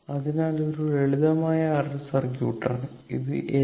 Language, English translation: Malayalam, So, this is your R L circuit